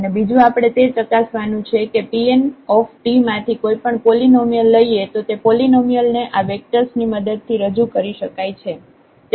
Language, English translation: Gujarati, The second we have to check that any polynomial from this P n t we take can be represent that polynomial with the help of these vectors